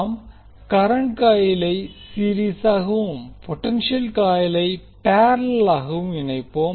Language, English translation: Tamil, Will connect the current coil in series and potential coil in parallel